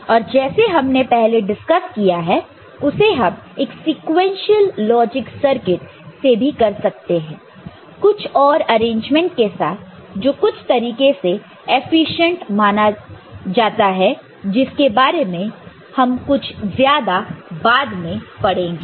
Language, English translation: Hindi, And as we discussed that; it can be done by sequential logic circuit by some other arrangement which in certain sense can be considered efficient in certain context, more of that we shall take up later